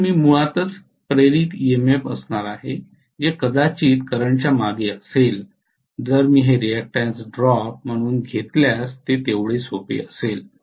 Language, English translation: Marathi, So I am going to have basically the induced EMF which will be lagging behind probably the current if I am taking this as a reactance drop as simple as that